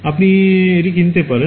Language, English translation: Bengali, You can just buy it